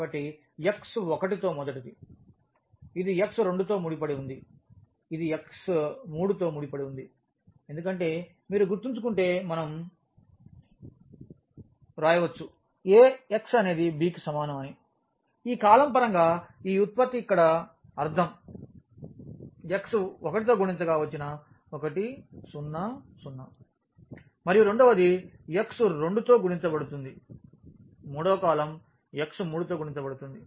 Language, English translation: Telugu, So, the first one with x 1, this is associated with the x 2, this is associated with the x 3 because if you remember we can write down this Ax is equal to b, I mean this product here in terms of this column here 1 0 0 multiplied by x 1 and then the second one will be multiplied by x 2, the third column will be multiplied by x 3